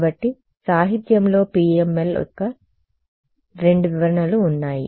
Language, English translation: Telugu, So, there are two interpretations of PML in the literature ok